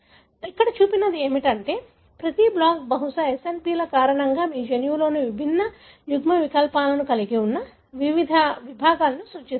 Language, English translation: Telugu, So, what is shown here is that each block probably represent different segments of your genome having different alleles, because of SNPs